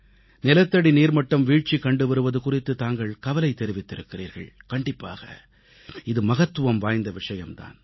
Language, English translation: Tamil, The concerns you have raised on the depleting ground water levels is indeed of great importance